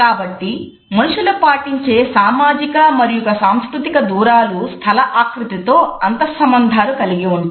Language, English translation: Telugu, So, social and cultural distances which people maintain are interrelated with interior designs